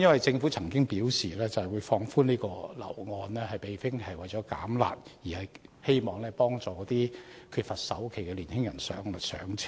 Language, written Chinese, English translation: Cantonese, 政府曾表示上調按揭成數，並非為了"減辣"，而是希望幫助缺乏首期的年輕人"上車"。, The Government said that adjustment of the LTV ratio was not intended to alleviate the curb measures but to help young people without enough money for down payment to buy their first flats